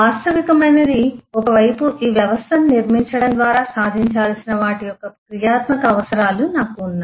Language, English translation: Telugu, What is realistic is on one side I have the functional requirements of what needs to be achieved by building this system